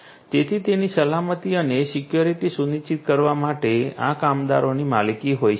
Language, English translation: Gujarati, So, these could be owned by the workers to ensure their safety and security